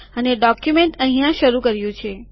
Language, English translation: Gujarati, We have begun the document here